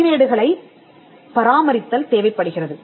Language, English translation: Tamil, So, this requires record keeping